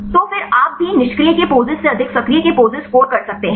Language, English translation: Hindi, Then also you can score the poses of actives higher than poses of inactive right